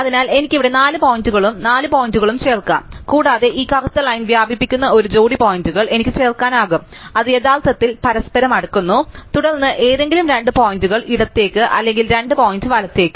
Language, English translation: Malayalam, So, I could have add four points here, four points there and I could have add a pair of points which spans this black line, which are actually closer together, then any two points to the left or two point to the right